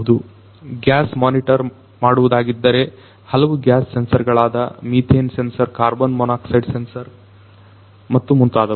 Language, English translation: Kannada, There could be if it is for gas monitoring different gas sensors like you know methane sensor, carbon monoxide sensor and so on